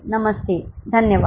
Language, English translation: Hindi, Namaste, thank you